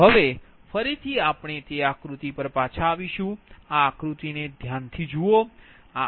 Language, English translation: Gujarati, now again we will come back to that diagram